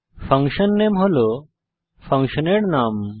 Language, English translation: Bengali, fun name defines the name of the function